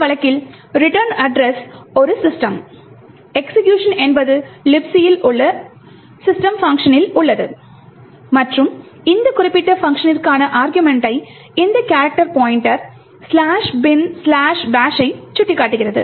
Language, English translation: Tamil, In this case the return address is the system, execution is into the system function present in LibC and the argument for this particular function is this character pointer pointing to slash bin slash bash